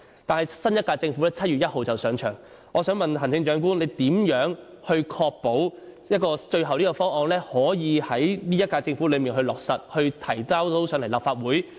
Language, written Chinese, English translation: Cantonese, 但是，新一屆政府將於7月1日上任，我想問行政長官，你如何確保最後方案可以在本屆政府任期內落實，並提交立法會？, But then the new Government will take office on 1 July . Chief Executive how will you ensure that the ultimate proposal can be finalized and submitted to the Legislative Council within the term of the current Government?